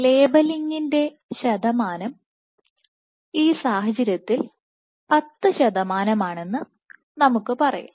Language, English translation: Malayalam, So, let us say if in this case if the percentage of labelling was 10 percent